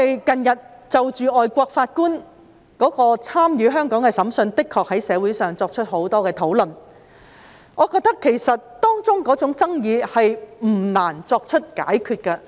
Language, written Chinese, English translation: Cantonese, 近日，就外籍法官參與香港的審訊，社會上的確有很多討論，我認為當中的爭議不難作出解決。, Recently the participation of foreign judges in the adjudication of cases in Hong Kong has aroused much discussion in society . I think the controversy involved is not difficult to resolve